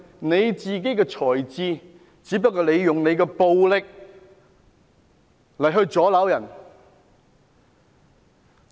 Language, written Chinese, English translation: Cantonese, 你不是用你的才智，而只是用你的暴力來阻撓別人。, Instead of using your wisdom you just turned to violence to obstruct others